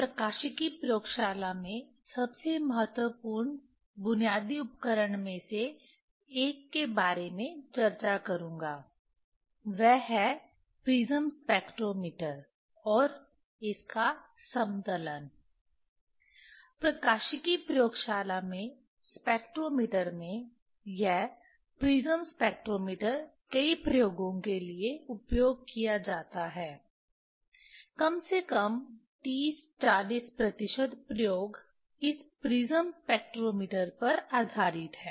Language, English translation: Hindi, In spectrometer in optics laboratory, this prism spectrometer is used for many experiments, at least 30 40 percent experiment is based on this prism spectrometer